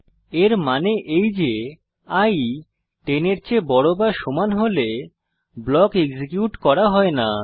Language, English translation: Bengali, That means when i becomes more than or equal to 10, the block is not executed